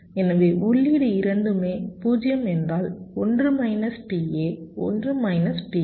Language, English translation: Tamil, so what is both the input are zero means one minus p a, one minus p b